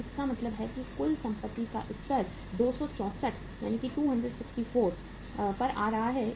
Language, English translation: Hindi, So it means total assets level is coming down to 264